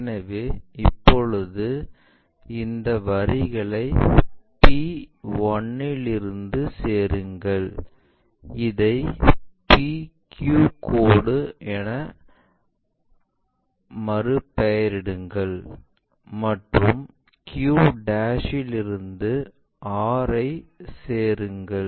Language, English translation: Tamil, So, now join these lines from p' join this one, rename this one as PQ line; and from here Q to R I am sorry, this is not this is R